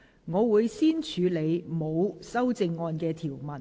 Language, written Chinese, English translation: Cantonese, 我會先處理沒有修正案的條文。, I will first deal with the clauses with no amendments